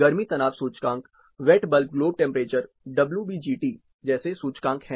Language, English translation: Hindi, There are indices like heat stress index, wet bulb globe temperature WBGT